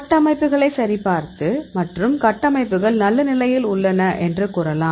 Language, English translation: Tamil, So, you can see the structures; they can validate and say the structures are in good shape